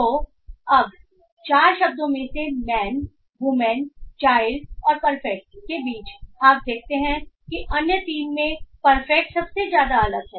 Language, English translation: Hindi, So now amongst the four words man, woman child and perfect you find that perfect is the most dissimilar to the other three